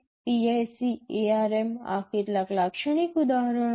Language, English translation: Gujarati, PIC, ARM these are some typical examples